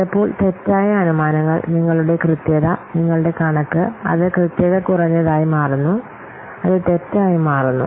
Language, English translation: Malayalam, So sometimes due to wrong assumptions, your estimate, it becoming less accurate, it is becoming wrong